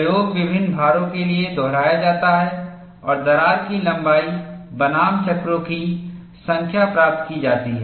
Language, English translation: Hindi, The experiment is repeated for various loads and a plot of crack length versus number of cycles is obtained